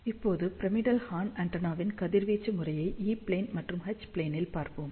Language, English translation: Tamil, Now, let us see radiation pattern of pyramidal horn antenna in E plane and H plane